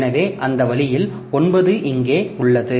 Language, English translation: Tamil, So, that way, so the nine is here